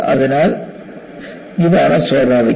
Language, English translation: Malayalam, So, this is what is natural